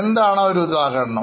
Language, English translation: Malayalam, What can be an example